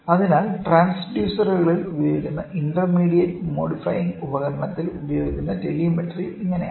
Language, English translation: Malayalam, So, this is how telemetry which is used in intermediate modifying device which is used in transducers